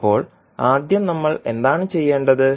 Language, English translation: Malayalam, Now, first what we have to do